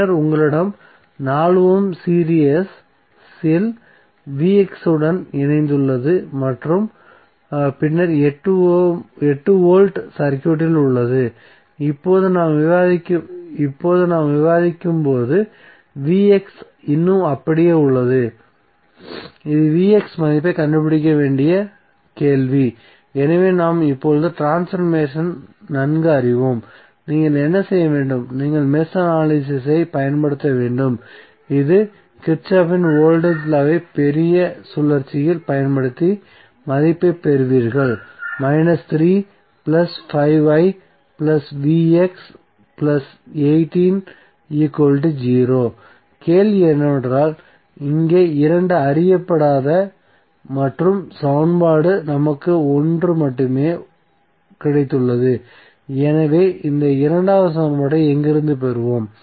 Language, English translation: Tamil, And then you have 4 ohm in series with Vx and then 18 volts which we have in the circuit, now as we discuss now Vx is still intact which is the question that we need to find out the value of Vx so we are okay with the transformations now, what you have to do, you have to use mesh analysis and you apply Kirchhoff’s voltage law across the bigger loop what you will get, you will get, minus 3 plus 4 ohm plus 1 ohm will be like the 5 ohm into current I